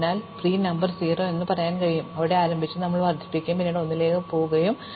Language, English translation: Malayalam, So, we will say that its pre number is say 0, because we start there and then we increment and then we go to 1